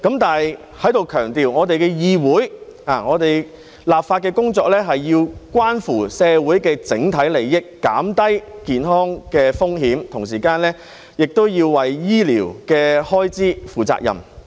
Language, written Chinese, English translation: Cantonese, 但是，我要在此強調，議會的立法工作須關乎社會的整體利益，減低健康風險，同時也要為醫療開支負責。, However here I would like to stress that the legislative work of the Council must be concerned with the overall interests of society . We should reduce health risks and at the same time be responsible for healthcare expenses